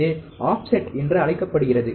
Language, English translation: Tamil, This is called the offset